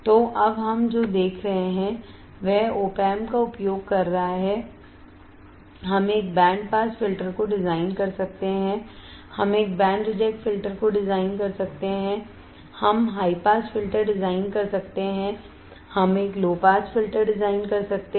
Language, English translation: Hindi, So, now what we see is using the operational amplifier we can design a band pass filter, we can design a band reject filter, we can design high pass filter, we can design a low pass filter